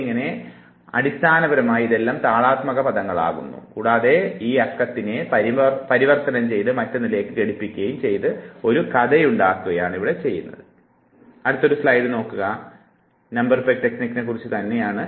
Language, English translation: Malayalam, So, these are basically the rhyming words and what you do now is that you simply now convert this numbers into pegs and then you make a story